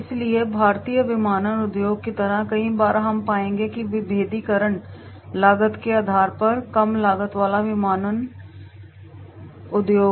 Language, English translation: Hindi, So many time like in Indian aviation industry we will find the differentiation is on the cost basis, the low cost aviation industry